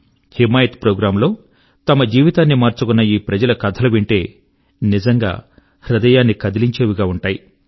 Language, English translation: Telugu, The success stories of lives which have changed under the aegis of the 'Himayat Programme', truly touch the heart